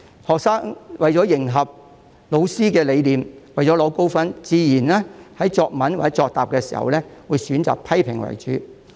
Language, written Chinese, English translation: Cantonese, 學生為了迎合老師的理念和取得高分，作答時自然會選擇以批評為主。, In order to follow teachers ideology and achieve high scores students will naturally choose to focus on criticisms when answering questions